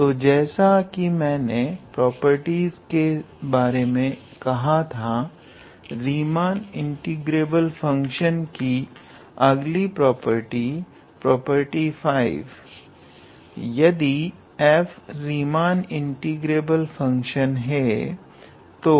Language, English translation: Hindi, So, as I was mentioning about the properties, so another property, property 5 of Riemann integrability is if f is a Riemann integrable function, then mod of f is also a Riemann integrable function